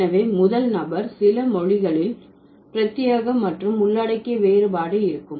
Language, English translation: Tamil, So, in the first person, some languages will have exclusive and inclusive distinction